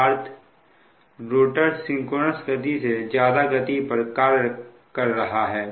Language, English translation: Hindi, that means the rotor is running above synchronous speed